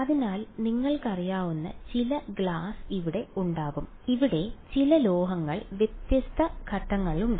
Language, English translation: Malayalam, So, you will have some you know glass over here, some metal over here right different different components are there